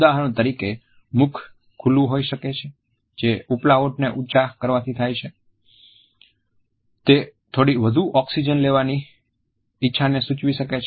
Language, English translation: Gujarati, For example, it can be same in wide open mouth which is formed by the raising of the upper lip which may indicate a desire either to escape or to have some more oxygen